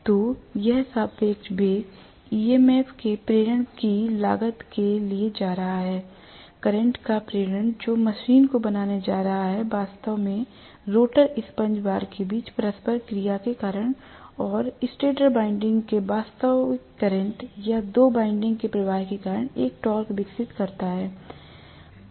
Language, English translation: Hindi, So this relative velocity is going to cost induction of EMF, induction of current that is going to make the machine actually develop a torque because of the interaction between the rotor damper bar current and actual current of the stator winding or the fluxes of the two windings